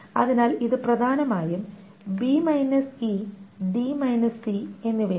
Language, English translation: Malayalam, So it is essentially b e and d c